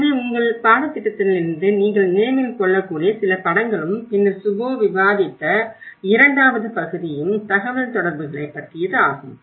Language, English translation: Tamil, So that is what some of the pictures which you can remember from your course and then the second part which Shubho have discussed is about the communications